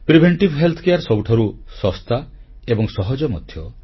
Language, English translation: Odia, Preventive health care is the least costly and the easiest one as well